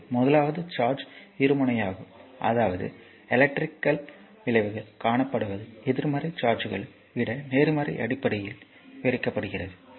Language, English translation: Tamil, So, will come to that the first one is the charge is bipolar, meaning that electrical effects are observed in your are describe in terms of positive than negative charges right